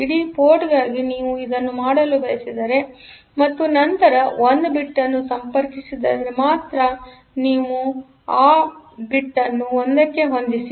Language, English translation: Kannada, If you want to do it for the entire port and if you are connecting only a single line then or a single bit, then you set that bit to 1